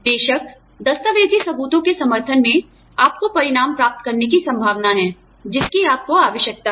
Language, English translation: Hindi, Of course, documentary evidences supporting is, likely to get you the results, that you need